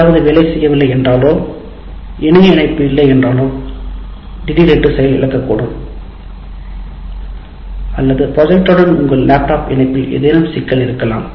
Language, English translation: Tamil, If something doesn't respond, if there is no internet connection, suddenly it breaks down, or you have some problem with your laptop connection to the projector